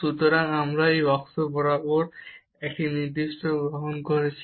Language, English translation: Bengali, So, we are taking a particular path along this x axis